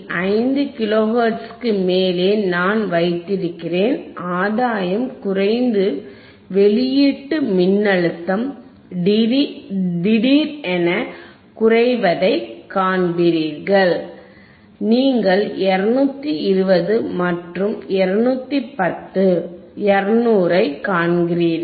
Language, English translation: Tamil, 5 kilo hertz, you will see the gain will decrease and the output voltage will even decrease suddenly, you see 220 and 210, 200